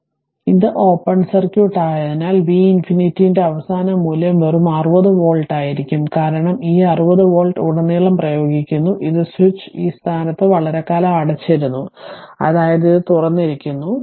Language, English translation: Malayalam, So, as it is open circuit, so V infinity is the final value will be just 60 volt, because this 60 volt is applied across, this and switch was closed at this position for long time that means this is open right, so V infinity will be 60 volt